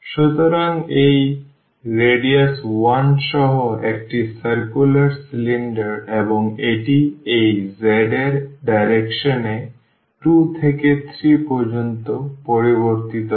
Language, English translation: Bengali, So, this is a cylinder here with radius 1 circular cylinder with radius 1 and it varies in the direction of this z from 2 to 3